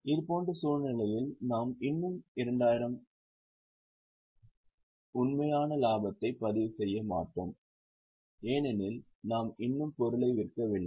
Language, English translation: Tamil, In such scenario, we will not record unrealized profit of 2,000 because we have not yet sold the item